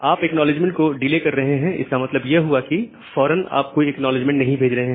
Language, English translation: Hindi, You are delaying the acknowledgement, that means, you are not sending any immediate acknowledgement